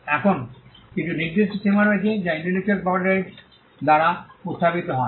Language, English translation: Bengali, Now, there are certain limits that are posed by intellectual property rights